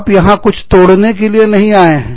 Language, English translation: Hindi, You are not there, to break anything